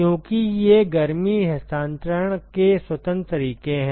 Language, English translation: Hindi, Because these are independent modes of heat transfer